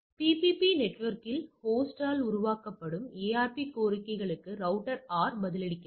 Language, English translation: Tamil, So, router R replies to ARP requests that are generated by the host on the PPP network right